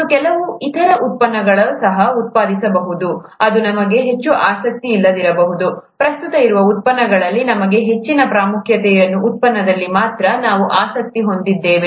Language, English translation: Kannada, And may be some other products are also produced, which may not be of much interest to us, we’re interested only in the product of great importance to us, amongst the products that are present